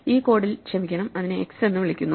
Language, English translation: Malayalam, So, sorry in this code, it is called x